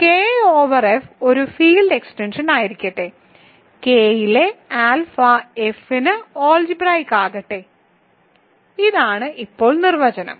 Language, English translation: Malayalam, So, let K over F be a field extension and let alpha in K be algebraic over F; this is the definition now